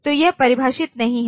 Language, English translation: Hindi, So, that is not defined